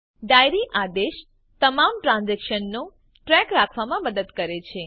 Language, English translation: Gujarati, Diary command helps to keep track of all the transactions